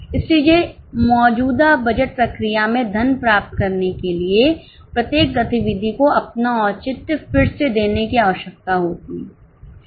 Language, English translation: Hindi, So, to receive funding in the current budget process, each activity needs to justify itself afresh